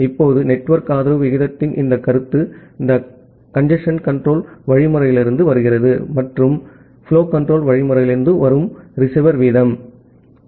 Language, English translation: Tamil, Now, this concept of network supported rate, it is coming from the congestion control algorithm; and the receiver rate that is coming from the flow control algorithm